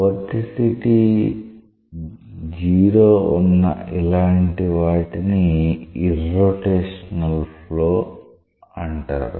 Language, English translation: Telugu, These types of cases where the vorticity is 0 is known as irrotational flow